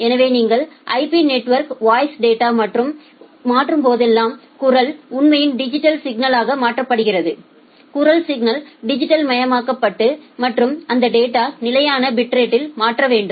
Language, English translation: Tamil, So, whenever you are transferring the voice data over the IP network, the voice is actually converted to a digital signal, the voice signal is digitized and after digitizing the voice signal that data need to be transferred at a constant bit rate